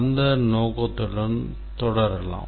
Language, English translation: Tamil, Let us proceed with that objective